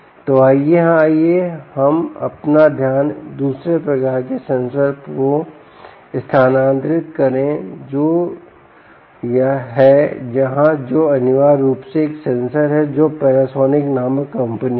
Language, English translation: Hindi, ok, so lets shift our focus to another type of sensor which is here, which is essentially ah a sensor, which is from a company called panasonic